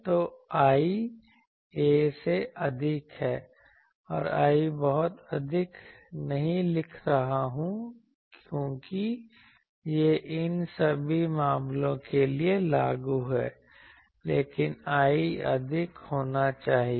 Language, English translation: Hindi, So, l is greater than a, and I am not writing much greater, because this is applicable for all these cases, but l should be greater